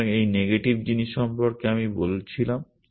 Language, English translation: Bengali, So, this the that negative thing that I was telling about